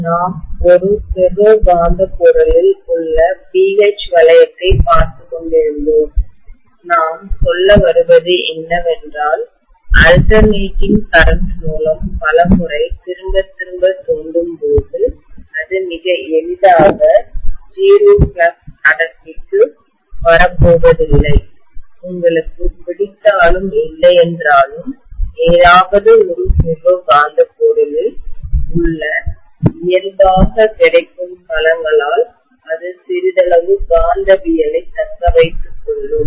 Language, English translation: Tamil, Okay, so we were looking at the BH loop in a ferromagnetic material, we said that when we are exciting it several times with an alternating current repeatedly, it is not going to come down to 0 flux density very easily, it will retain some amount of magnetism whether you like it or not because of the inherently available domains that are there in any ferromagnetic material